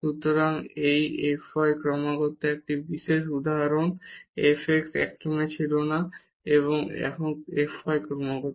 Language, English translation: Bengali, So, hence this f y is continuous, this is a special example where f x was not continuous and now f y is continuous